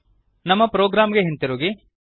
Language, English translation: Kannada, Come back ot our program